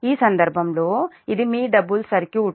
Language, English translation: Telugu, so in this case this is your double circuit